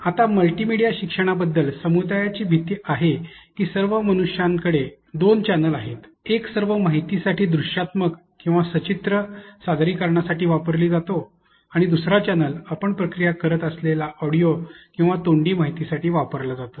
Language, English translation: Marathi, Now, community fear of multimedia learning says that all of humans have two channels, one is used for all the information later to visual or pictorial presentations, but again another channel is basically used for or audio or verbal information that you process